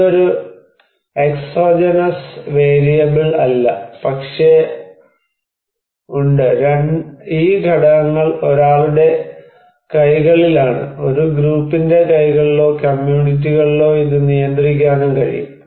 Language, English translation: Malayalam, It is not an exogenous variable, but there is also, so these components are much in someone's hands, in a group’s hands or communities they can control this one